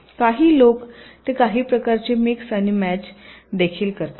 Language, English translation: Marathi, some people they also do some kind of a mix and match